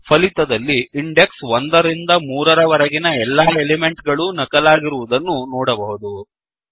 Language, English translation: Kannada, As we can see, the elements from index 1 to 3 have been copied